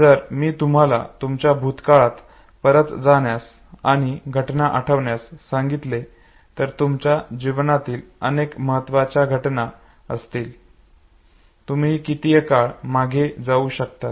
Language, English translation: Marathi, If I ask you to go back to your earlier periods of life and recollect event, significant events okay, till whatever time period you can go back too